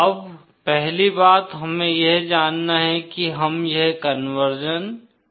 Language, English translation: Hindi, Now 1st thing we have to know is why do we do this conversion